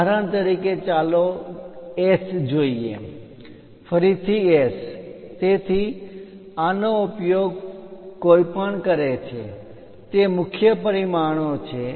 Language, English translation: Gujarati, For example, let us look at S, S again S, S so; these are the main dimensions one uses